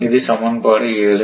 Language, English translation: Tamil, So, this is equation one